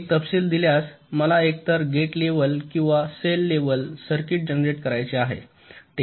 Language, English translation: Marathi, given a specification, i want to generate either a gate level or a cell level circuit